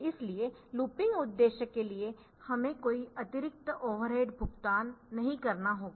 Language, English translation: Hindi, So, there is no extra overhead that we have to pay for this looping purpose